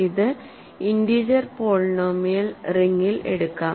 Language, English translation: Malayalam, So, let us take this in the in polynomial ring over integers